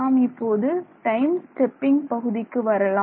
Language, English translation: Tamil, Now, we let us go back to the time stepping part right